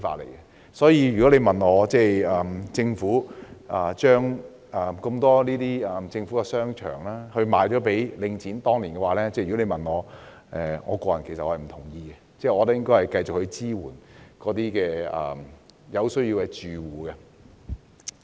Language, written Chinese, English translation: Cantonese, 因此，如果問我對政府當年將眾多政府商場出售給領匯的看法，我個人是不贊同的，因我認為應繼續支援有需要的住戶。, Hence if I am asked of my opinion about the sale of the many shopping arcades under the Government to The Link REIT back then I personally will express disagreement with such an arrangement for I consider we should continue to render support to the households in need